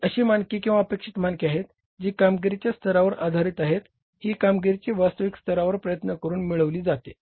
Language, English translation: Marathi, They are the standards, attainable standards are the standards based on levels of performance that can be achieved by realistic levels of efforts